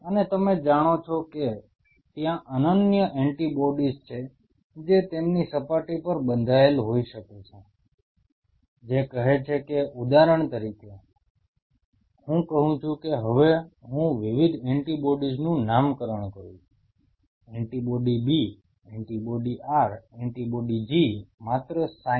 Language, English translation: Gujarati, And you know there are unique antibodies which could be bound on their surface, which say for example, I take say now I label the different antibodies, antibody B antibody R antibody G just sign